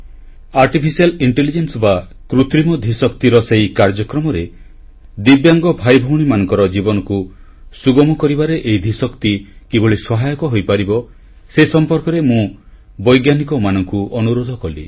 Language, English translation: Odia, In that programme on Artificial Intelligence, I urged the scientific community to deliberate on how Artificial Intelligence could help us make life easier for our divyang brothers & sisters